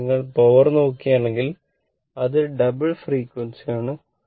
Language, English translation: Malayalam, So now, in that case if you look that power, this is at this is at double frequency right